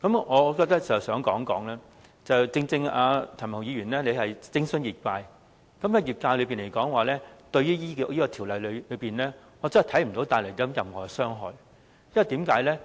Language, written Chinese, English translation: Cantonese, 我想指出，正正因為譚文豪議員徵詢的是業界，對於業界來說，我看不到《條例草案》會帶來任何傷害，為甚麼呢？, I would like to highlight that what Mr Jeremy TAM has consulted is the industry concerned . To the industry I cannot see that the Bill will bring any harm to it why?